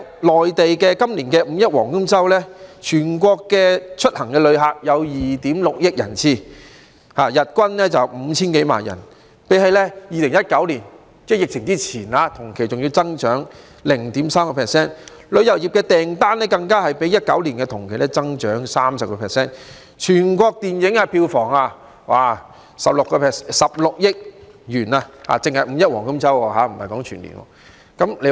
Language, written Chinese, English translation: Cantonese, 內地今年的"五一黃金周"，全國的出行旅客有2億 6,000 萬人次，日均 5,000 多萬人，較2019年疫情之前同期還要增長 0.3%； 旅遊業訂單更較2019年同期增長 30%； 全國的電影票房16億元，說的只是"五一黃金周"而不是全年的收入。, During the Golden Week of Labour Day of the Mainland this year a visitor throughput of 260 million was recorded nationwide with an average throughput of 50 million - plus per day representing an increase of 0.3 % compared to the same period before the epidemic in 2019 . Travel booking has even increased by 30 % compared to the same period in 2019 . Besides the national box office receipts of RMB1.6 billion were also generated during the Golden Week of Labour Day alone not the whole year